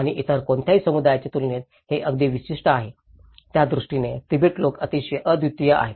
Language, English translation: Marathi, And that is very specific compared to any other communities; the Tibetans are very unique on that manner